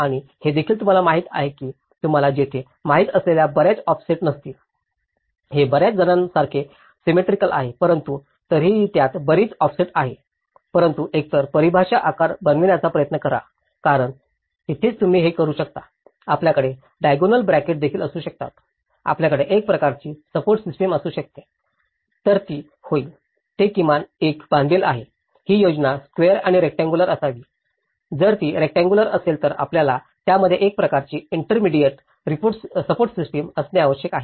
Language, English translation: Marathi, And also, you know, don’t have too many offsets you know here, this is like too many, so symmetrical but still it’s too many offsets in it but then either try to make more of a defined shape because that is where you can even have a diagonal bracings, you can have some kind of support system so, it will; it is at least bound to a; this plan should be square or rectangular, if it is rectangular then you need to have a kind of intermediate support systems into it